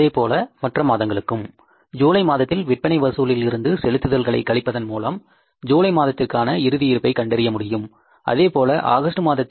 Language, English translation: Tamil, Similarly we will go for the other sources means the collection of sales in the month of July, we will subtract the payment for the month of July and then the closing cash balance we will calculate for the month of July